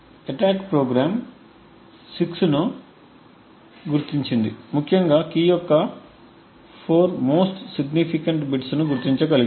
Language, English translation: Telugu, The attack program has identified 6 essentially has been able to identify the most significant 4 bits of the key